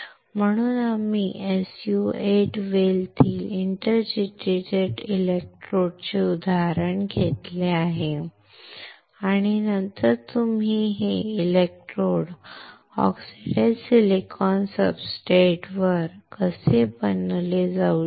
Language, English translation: Marathi, So, we have taken an example of an inter digitated electrodes within an SU 8 well and then how you can fabricate these electrodes on the oxidized silicon substrate